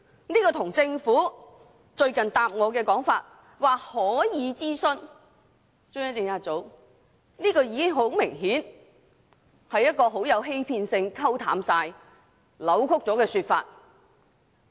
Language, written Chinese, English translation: Cantonese, 比較之下，政府最近答覆我時指可以諮詢中央政策組，明顯是一種具欺騙性、意圖令事件降溫的扭曲說法。, In comparison the Governments recent reply to me states that CPU may be consulted . Obviously it is a deceptive distortion which attempts to tone down the matter